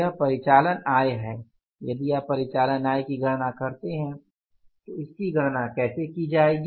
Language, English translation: Hindi, If you calculate the operating income, so how it will be calculated